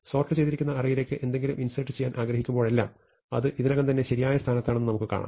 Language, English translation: Malayalam, Whenever we want to insert something into the already sorted list, we will find that it is already in the correct position